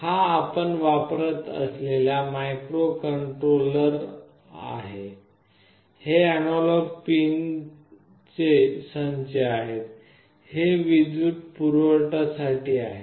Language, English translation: Marathi, This is the microcontroller that we are using, these are the set of analog pins, these are for the power